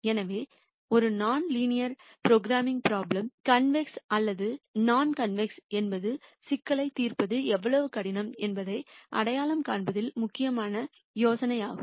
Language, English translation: Tamil, So, whether a non linear programming prob lem is convex or non convex is an important idea in identifying how di cult the problem is to solve